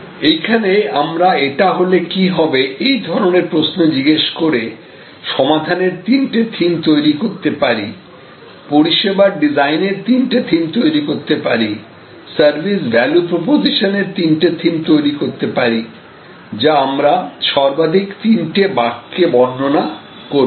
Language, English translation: Bengali, And then here, we ask what if, from these, what ifs we can then develop may be three themes of solutions, three themes of service business design, three themes of service value proposition, which we can describe in maximum three sentences